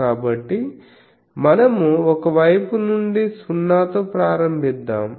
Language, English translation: Telugu, So, let us number so from one side let us start 0 so, go to N